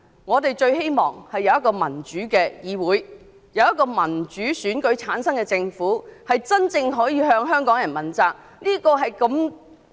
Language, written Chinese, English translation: Cantonese, 我最希望有一個民主的議會及一個由民主選舉產生的政府，可以真正向香港人負責。, My greatest wish is to have a democratic legislature and a government returned by a democratic election which is really accountable to Hong Kong people